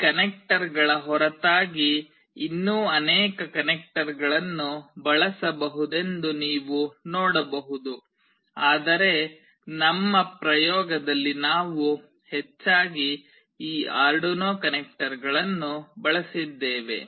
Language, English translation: Kannada, You can see that apart from these connectors there are many other connectors that can be used, but in our experiment we have mostly used these Arduino connectors